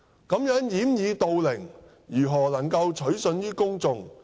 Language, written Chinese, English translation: Cantonese, 如此掩耳盜鈴，如何能夠取信於公眾？, Burying his head in the sand as such how can he command trust from the people?